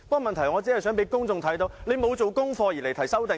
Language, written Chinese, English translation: Cantonese, 問題是，我只是想讓公眾看到他沒有做功課而提出修正案。, The point is that I just want to show the public that he is proposing an amendment without doing background work